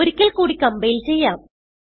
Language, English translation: Malayalam, Let us compile it again